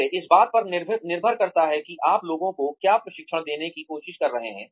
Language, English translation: Hindi, Again, depends on, what you are trying to give people, training in